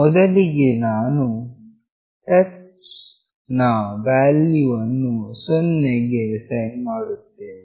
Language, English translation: Kannada, Initially the touch value we are assigning it to 0